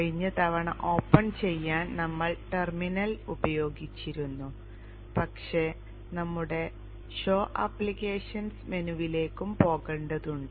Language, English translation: Malayalam, Last time we had used the terminal to open but we could also go into the show applications menu